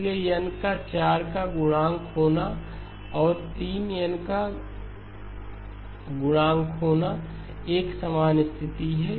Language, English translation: Hindi, So therefore n being a multiple of 4 and 3n being a multiple of 4 are exactly the same condition